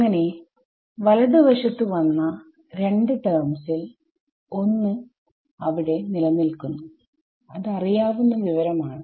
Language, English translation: Malayalam, So, of the two terms that come on the right hand side one remains, which has a known information and the rest goes back right